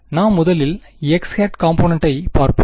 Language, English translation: Tamil, Let us look at the x hat component